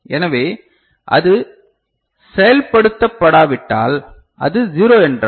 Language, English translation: Tamil, So, if it is not invoked so, if it is 0 ok